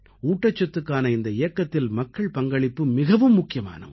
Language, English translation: Tamil, In this movement pertaining to nutrition, people's participation is also very crucial